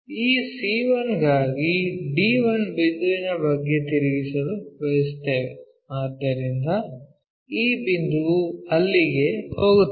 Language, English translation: Kannada, We want to rotate about d 1 point for this c 1, so this point has to go there